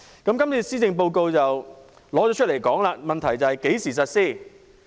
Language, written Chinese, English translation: Cantonese, 今次的施政報告正提出類似建議，問題是何時實施。, This Policy Address has proposed a similar measure but the question is when it will be implemented